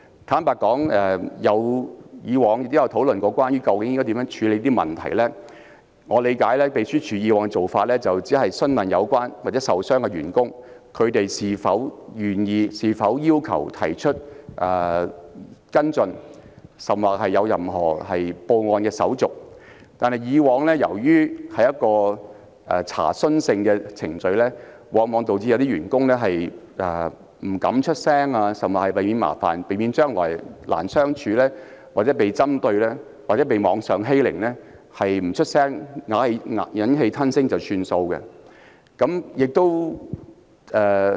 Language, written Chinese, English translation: Cantonese, 坦白說，以往亦曾討論究竟應如何處理有關問題，據我理解，秘書處以往的做法只是詢問有關員工或受傷員工是否願意或是否要求跟進，甚至報案，但由於以往的程序只屬查詢性質，往往導致有些員工為避免麻煩、難以相處、被針對或網上欺凌，因而選擇不發聲、忍氣吞聲作罷。, Frankly speaking there were discussions in the past on how such issues should be addressed . As far as I understand it the Secretariat in the past would only ask the relevant officers or the injured officers whether they were willing or wished to pursue the matter by making a report to the Police . However since the past procedures were conducted merely in the form of inquiry some officers more often than not chose to let matters drop by remaining silence and swallowing their grievance lest they might invite troubles be seen as difficult be targeted or subjected to online bullying